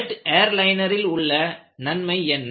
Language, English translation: Tamil, And what is advantage of a jet airliner